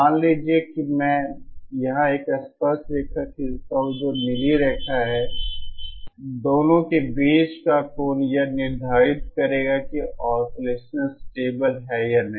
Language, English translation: Hindi, Suppose I draw a tangent here a tangent that is blue line, the angle between the two will determine whether the oscillation is stable or not